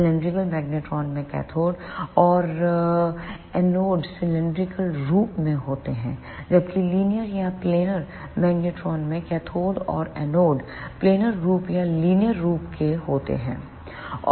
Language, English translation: Hindi, In cylindrical magnetron the cathode and the anode are of cylindrical form; whereas, in linear or planar magnetron, the cathode and anode are of planar form or linear form